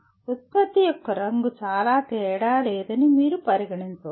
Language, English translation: Telugu, You may consider color of the product does not make much difference